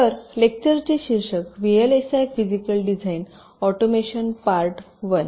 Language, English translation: Marathi, so the lecture title: vlsi physical design automation, part one